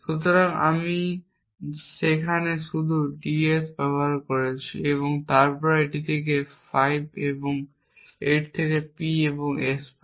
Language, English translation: Bengali, So, I just used ds there then from this we get from 5 and 8 we get P and S